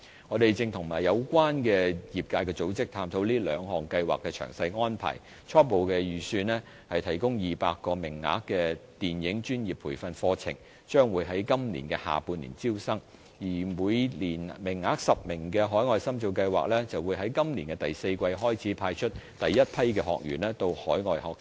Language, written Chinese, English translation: Cantonese, 我們正與有關的業界組織探討這兩項計劃的詳細安排，初步預計提供200個名額的電影專業培訓課程將在今年下半年招生，而每年10個名額的海外深造計劃則在今年第四季開始派出第一批學員到海外學習。, We are now exploring the detailed arrangements with the related sectors and organizations . Our preliminary idea is that the professional training programme which will provide 200 places will start inviting applications in the latter half of this year while the overseas training scheme which will support 10 practitioners to study overseas every year will start sending the first batch of practitioners to further their studies overseas in the fourth quarter of this year